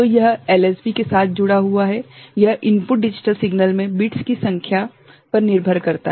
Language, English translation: Hindi, So, this is associated with the LSB right, it depends on the number of bits in the input digital signal ok